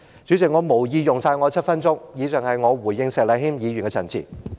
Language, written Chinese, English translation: Cantonese, 主席，我無意用盡7分鐘的發言時間，以上是我回應石禮謙議員的陳辭。, President I do not intend to use up my seven minutes speaking time . The above is my response to Mr Abraham SHEKs speech